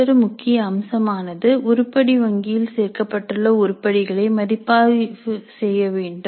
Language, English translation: Tamil, The another important aspect is that the items included in an item bank must be reviewed